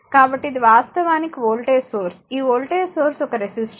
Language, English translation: Telugu, So, this is actually voltage source, right this is one resistor this voltage source